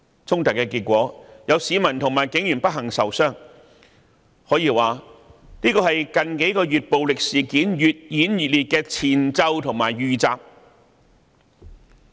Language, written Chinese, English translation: Cantonese, 衝突的結果，是有市民和警員不幸受傷，這可說是近幾個月暴力事件越演越烈的前奏和預習。, These conflicts did result in citizens and police officers being unfortunately injured . It can be said to be a prelude or warming - up for the ever escalating violent incidents of the past several months